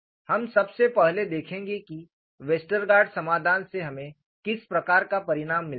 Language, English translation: Hindi, We will first see, what is the kind of result we get from Westergaard solution